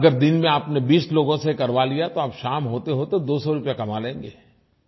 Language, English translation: Hindi, If you involve twenty persons in a day, by evening, you would've earned two hundred rupees